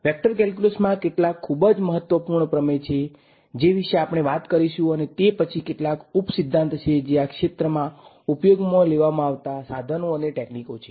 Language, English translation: Gujarati, There are some very important theorems in vector calculus that we will talk about and then some of the corollaries which are like the tools and techniques used in this area